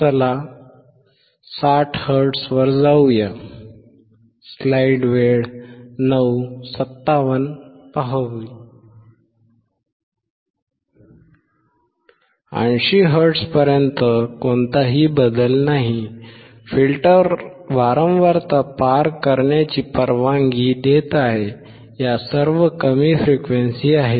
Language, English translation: Marathi, Up to 80 hertz there is no change; the filter is allowing the frequency to pass through; all these are low frequencies